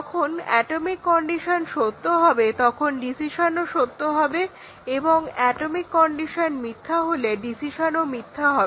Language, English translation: Bengali, The decision would be true when an atomic condition is true and it will be false when the atomic condition is false